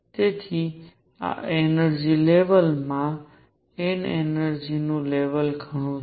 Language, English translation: Gujarati, So, this n th energy level has many energy levels